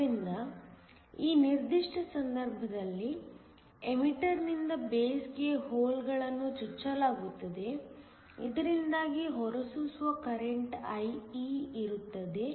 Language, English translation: Kannada, So, in this particular case, holes are injected from the emitter to the base, so that there is an emitter current IE